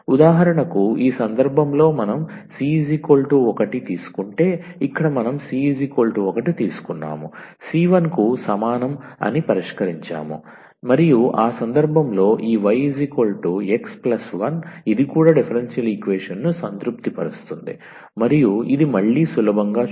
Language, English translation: Telugu, So, here we taken the c is equal to 1 we have fix the c is equal to 1 and in that case this y is equal to x plus 1, that will also satisfy the differential equation and which can again one can easily see